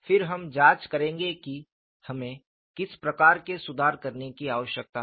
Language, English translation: Hindi, Then we will investigate what kind of corrections that we need to make